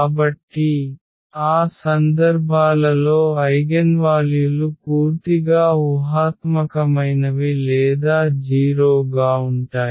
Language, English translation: Telugu, So, for those cases the eigenvalues are purely imaginary or 0 again